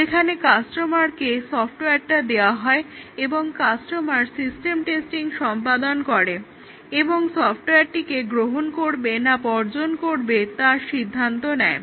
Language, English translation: Bengali, Whereas acceptance testing is the system testing, where the customer does the system testing to decide whether to accept or reject the software